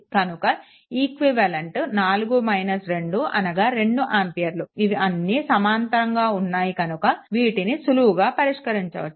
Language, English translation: Telugu, And equivalent is 4 minus 2, 2 ampere because all are in parallel from an intuition you can easily make it